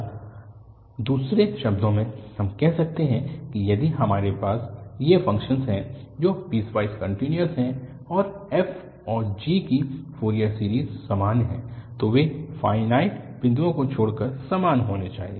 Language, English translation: Hindi, Or in other words, we can say that if we have two functions which are piecewise continuous and the Fourier series of f and g are identical, then they must be equal except at finite number of points